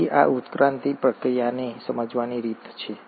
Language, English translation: Gujarati, So, there are ways to understand this evolutionary process